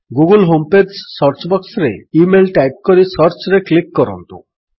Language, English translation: Odia, In the search box of the google home page, type email .Click Search